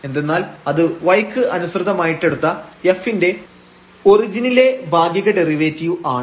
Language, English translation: Malayalam, And this is the value at the origin as well of this function f y